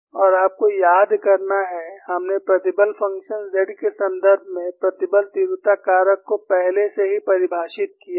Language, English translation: Hindi, And you have to recall, we have already defined the stress intensity factor in terms of the stress function capital Z